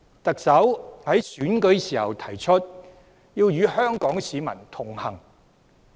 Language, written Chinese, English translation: Cantonese, 特首在選舉時提出，要與香港市民同行。, The Chief Executive set out in her election manifesto her desire to connect with Hong Kong people